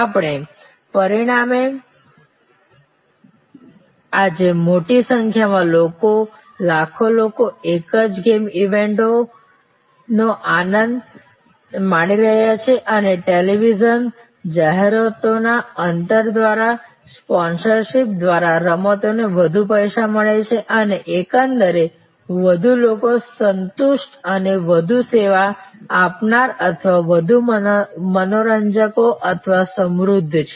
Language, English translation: Gujarati, And so as a result today large number of people, millions of people enjoy the same game event and the games are lot more money by sponsorship by television ads gaps and on the whole therefore, more people at satisfied and more service providers or more entertainers or enriched